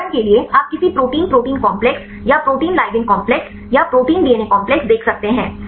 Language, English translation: Hindi, For example you can see any Protein protein complexes or the protein ligand complexes or the protein DNA complexes